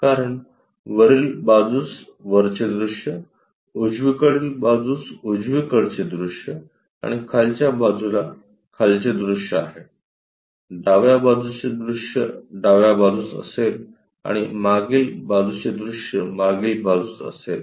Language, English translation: Marathi, Because front view top view on top, right view on the right side and bottom view is on the bottom side, left view will be on the left side and rear view on the rear side